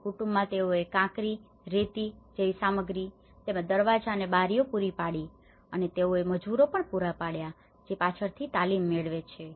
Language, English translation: Gujarati, So, in family they have provided the materials like the gravel, sand and things like that and also the doors and windows and they also provided the labour which got training later on